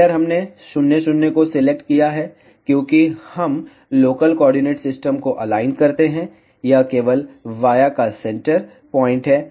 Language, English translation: Hindi, Center we have selected 0, 0, because we align the local coordinate system, it is center point of via only